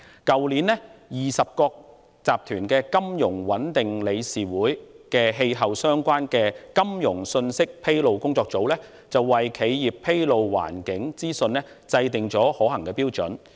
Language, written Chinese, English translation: Cantonese, 去年 ，20 國集團的金融穩定理事會的氣候相關金融信息披露工作組為企業披露環境資訊制訂了可行標準。, Last year the Task Force on Climate - related Financial Disclosures under the Financial Stability Board of the G20 Finance Ministers formulated a set of feasible standards for the disclosure of environmental information by enterprises